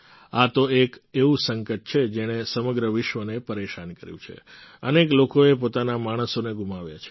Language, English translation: Gujarati, This is a crisis that has plagued the whole world, so many people have lost their loved ones